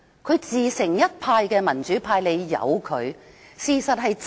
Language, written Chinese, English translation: Cantonese, 他自成一派，民主派應該由得他。, He is distinct and unique . The pro - democracy camp should leave him alone